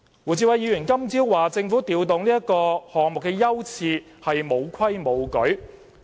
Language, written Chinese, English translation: Cantonese, 胡志偉議員今早指政府調動議程項目的優次是沒有規矩。, Mr WU Chi - wai said this morning that the Government had not followed the rules when it rearranged the order of agenda items